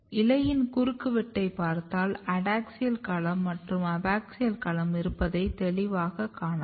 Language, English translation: Tamil, If you look the cross section of the leaf, so you can clear see that you can have a two domain; the adaxial domain and the abaxial domain